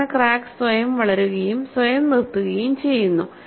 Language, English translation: Malayalam, That is crack propagates and stops by itself